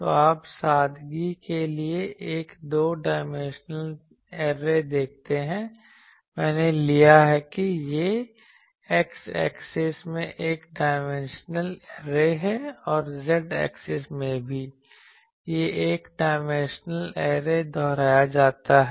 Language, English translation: Hindi, So, you see a two dimensional array for the simplicity, I have taken that it is a one dimensional array in x axis and also in the z axis, this one dimensional array is repeated